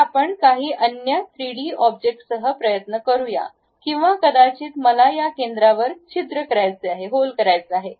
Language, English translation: Marathi, So, let us try with some other 3D object or perhaps I would like to make holes through these centers